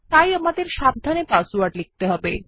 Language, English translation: Bengali, So we have to type the password carefully